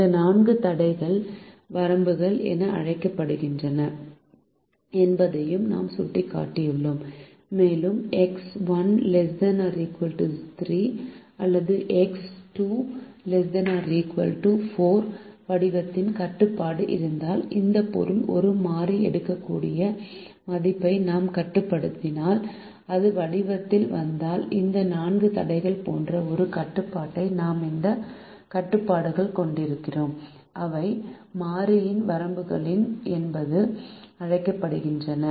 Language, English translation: Tamil, i have also indicated that these four constraints are called limits, are bounds, and if we have a constraint of the form x one less than equal to three or x two less than equal to four, which means if you are restricting the value that a variable can take, and if that comes in the form of a constraint like this, four constraints that we have, these constraints are also called bounds on the variables